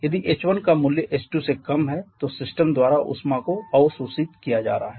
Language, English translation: Hindi, If h1 is lesser than h2 then heat is being observed by the system